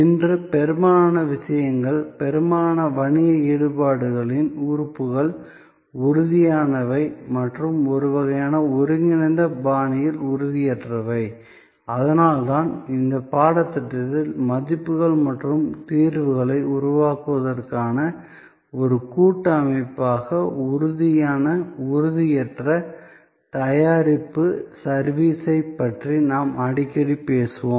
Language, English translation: Tamil, And most things today, most business engagements are both elements, tangible and intangible in a kind of integral fashion and that is why in this course, we will often talk about product service tangible, intangible as a composite system for creating values and solutions